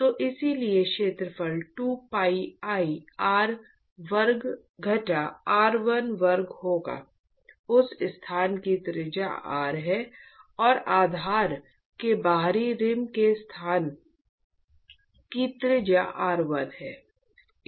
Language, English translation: Hindi, So, therefore, the area would be 2pi r square minus r1 square, the radius of that location is r and the radius of the place of the outer rim of the base is r1